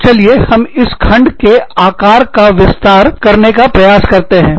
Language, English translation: Hindi, So, let us try and expand, the size of the pie